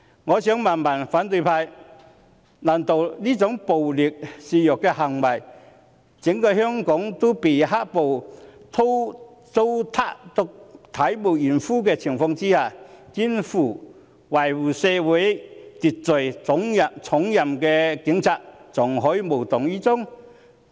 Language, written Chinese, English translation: Cantonese, 我想問反對派，難道在這種暴力肆虐，整個香港也被"黑暴"糟蹋至體無完膚的情況下，肩負維持社會秩序重任的警察，還可以無動於衷？, I would like to put the following question to the opposition When acts of violence abound and the entire Hong Kong is being tormented beyond recognition by black violence can the Police who shoulder the responsibility of maintaining law and order sit inert?